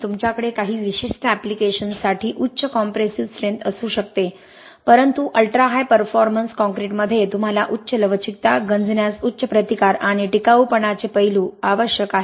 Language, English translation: Marathi, You can have high compressive strength for certain applications but you need high ductility, high resistance to corrosion and aspects of durability also in ultrahigh performance concretes